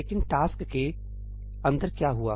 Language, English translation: Hindi, But what happened inside the task